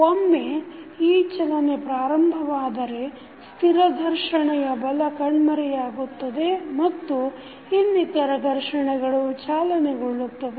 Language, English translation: Kannada, Once this motion begins, the static frictional force vanishes and other frictions will take over